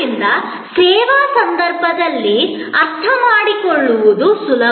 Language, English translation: Kannada, So, it is easy to understand in a service context